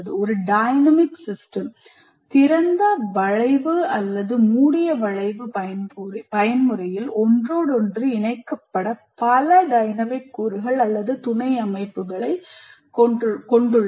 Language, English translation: Tamil, And a dynamic system consists of several dynamic elements or subsystems interconnected in open loop or closed loop mode